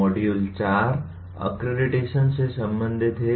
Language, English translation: Hindi, Module 4 is related to “accreditation”